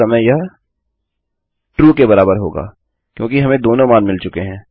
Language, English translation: Hindi, So right now, this will equal true because we have got both values